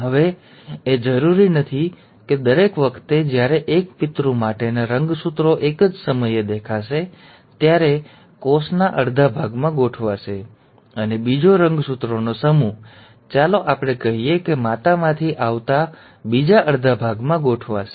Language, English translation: Gujarati, Now it is not necessary that every time the chromosomes for one parent will appear at one, will arrange at one half of the cell, and the other set of chromosome, let us say coming from mother will arrange at the other half